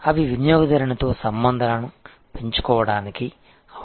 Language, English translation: Telugu, And those are opportunities for building relation with the customer